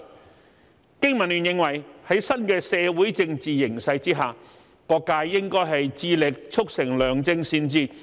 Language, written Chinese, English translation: Cantonese, 香港經濟民生聯盟認為，在新的社會政治形勢下，各界應致力促成良政善治。, The Business and Professionals Alliance for Hong Kong BPA believes that under the new social and political situation all sectors should strive to facilitate good governance